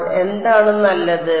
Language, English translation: Malayalam, So, what is fine